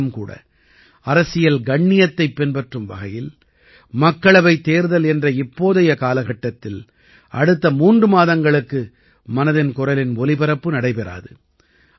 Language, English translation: Tamil, But still, adhering to political decorum, 'Mann Ki Baat' will not be broadcast for the next three months in these days of Lok Sabha elections